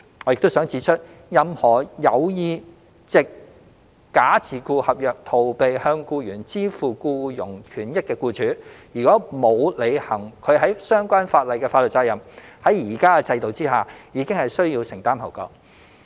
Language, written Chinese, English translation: Cantonese, 我亦想指出，任何有意藉假自僱合約逃避向僱員支付僱傭權益的僱主，如果沒有履行其在相關法例下的法律責任，在現行制度下已經需要承擔後果。, I would also like to point out that any employer who intends to evade payment of employment benefits to his employees through a bogus self - employment contract will have to bear the legal consequences under the current system if he fails to fulfil his legal obligations under the relevant legislation